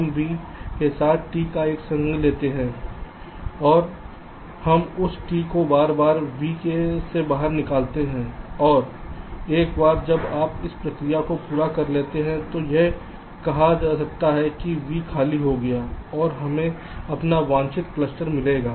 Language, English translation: Hindi, we take the union of t with v, i, and we take out this t from v repeatedly and once you complete this process, this said v will be empty and we get our ah just desired cluster